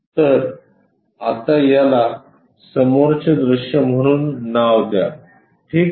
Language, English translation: Marathi, So, as of now name this one as front view ok